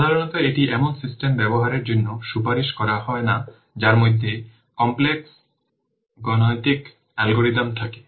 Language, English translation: Bengali, Normally it is not recommended for use in systems which involve complex mathematical algorithms